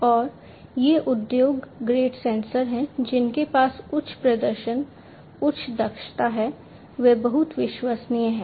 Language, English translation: Hindi, And these are industry grade sensors these have higher performance, higher efficiency, they can, they are very reliable